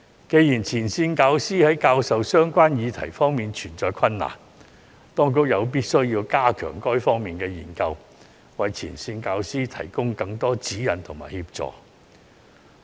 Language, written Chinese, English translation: Cantonese, 既然前線教師在教授相關議題方面存在困難，當局有必要加強這些方面的研究，為前線教師提供更多指引和協助。, Since frontline teachers have difficulties in teaching these topics it is necessary for the authorities to enhance their study in these areas and provide them with more guidance and assistance